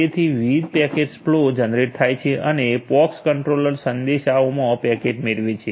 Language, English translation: Gujarati, So, different packet flows are generated and the POX controller receives the packet in messages